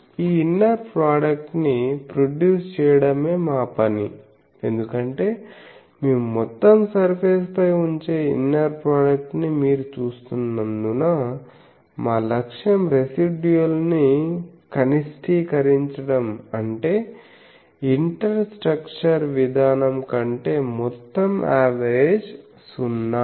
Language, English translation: Telugu, Our job is for this producing this inner product because you see inner product we are putting over the whole surface our objective is to minimize the residual in such a way that is overall average over the inters structure approach is 0